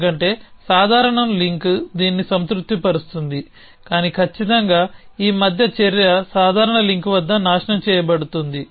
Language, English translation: Telugu, Because a casual link was satisfying this, but in certain this action in between destroyed at casual link